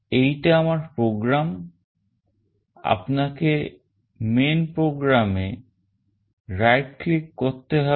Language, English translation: Bengali, This is my program you have to right click here on main program